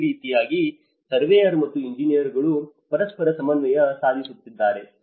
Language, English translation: Kannada, So, this is how the surveyor and the engineers will coordinate with each other